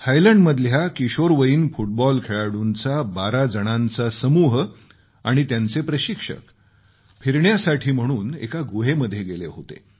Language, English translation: Marathi, V… in Thailand a team of 12 teenaged football players and their coach went on an excursion to a cave